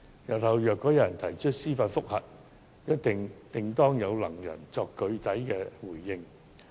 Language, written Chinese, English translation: Cantonese, 日後，如果有人提出司法覆核，定會有能人可以作出具體回應。, In the event of judicial review in the future however I am sure some capable people will put forward a robust response